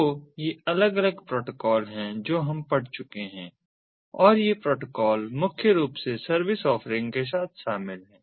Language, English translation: Hindi, so these are the different protocols that we have gone through so far and these protocols are primarily involved with service offerings